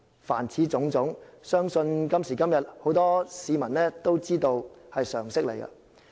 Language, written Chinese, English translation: Cantonese, 凡此種種，相信今時今日，很多市民都非常明白。, I believe that today many people are well aware of all these problems